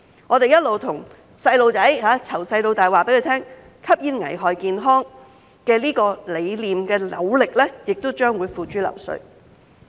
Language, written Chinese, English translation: Cantonese, 我們一直對兒童，從小到大告訴他們，吸煙危害健康這個理念，這些努力亦將會付諸流水。, Though we have been telling our children from a young age that smoking is hazardous to health these efforts will be in vain